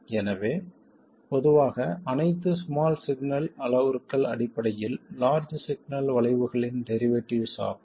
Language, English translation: Tamil, So, in general, all small signal parameters are basically derivatives of the large signal curves